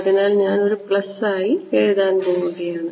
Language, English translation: Malayalam, So, what I will do is I am going to write this as a plus